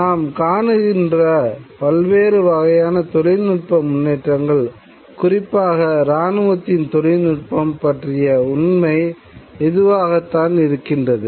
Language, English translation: Tamil, And this has been true of various kinds of technological development as we can see, particularly military technology